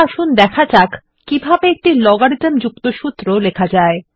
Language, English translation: Bengali, Now let us see how to write formulae containing logarithms